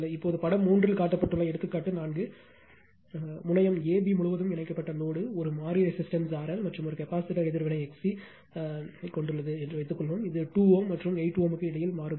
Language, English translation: Tamil, Now, example 4 in the network shown in figure 3; suppose the load connected across terminal A B consists of a variable resistance R L and a capacitive reactance X C I will show you which is a variable between 2 ohm, and 8 ohm